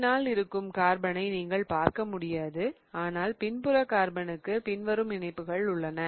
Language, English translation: Tamil, And the back carbon is you really cannot see the carbon but the back carbon has the following attachments as well